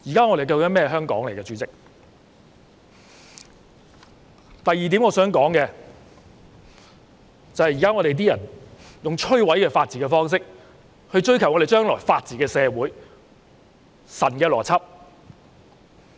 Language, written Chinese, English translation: Cantonese, 我想說的第二點是，現在有些人以摧毀法治的方式來追求未來的法治社會，這是神的邏輯。, The second point I would like to make is now some people are pursuing a future society maintaining the rule of law by way of destroying the rule of law . What miraculous logic!